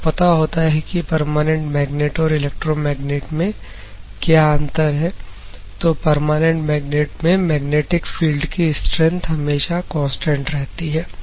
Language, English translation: Hindi, If you see a permanent magnet the magnetic field strength will be constant